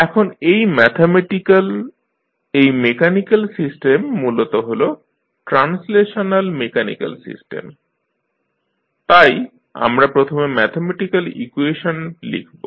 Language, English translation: Bengali, Now, this mathematical, this mechanical system, the basically this is translational mechanical system, so we have to first write the mathematical equation